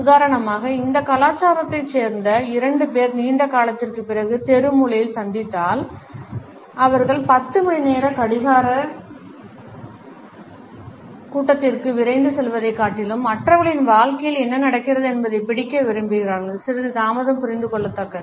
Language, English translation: Tamil, For example if two people who belong to this cultured meet on the street corner after a long time, they would prefer to catch on what is going on in others life first rather than rushing to a 10 o clock meeting, a slight delay is understandable